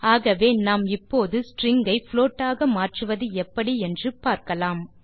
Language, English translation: Tamil, So, We shall now look at converting strings into floats